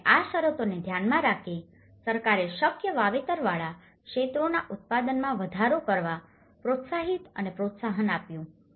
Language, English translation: Gujarati, And considering this conditions, the government has motivated to and encouraged to enhance the production of the feasible cultivated areas